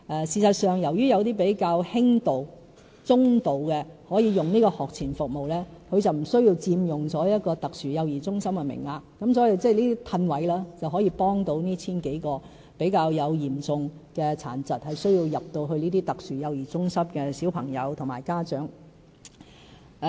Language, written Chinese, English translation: Cantonese, 事實上，由於有些比較輕度和中度的幼童可以使用這學前服務，便無須佔用特殊幼兒中心的名額，所以，這樣騰出名額便能夠幫助這 1,000 多名比較嚴重殘疾，需要入讀特殊幼兒中心的小朋友和家長。, But some children who are just mildly and moderately disabled can actually make use of pre - school rehabilitation services instead of SCCC places . In this way we can release some SCCC places to help the 1 000 so severely disabled children and their parents